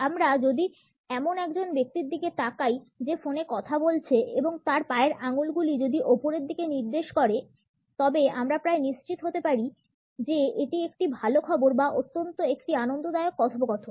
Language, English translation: Bengali, If we happen to look at a person who is talking on a phone and then the toes are pointing upward, we can almost be sure that it is a good news or an enjoyable conversation at least